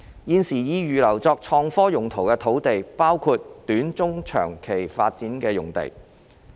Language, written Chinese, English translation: Cantonese, 現時已預留作創科用途的土地，包括短、中、長期發展的用地。, Presently land reserved for IT uses include sites for short medium and long - term development